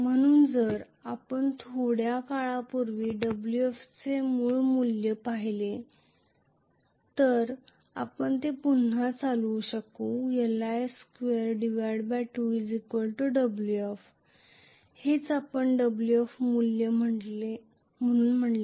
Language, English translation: Marathi, so, if we actually looked at the original value of Wf whatever we derived before some time to we can drive it again half Li square that is what we said as the Wf value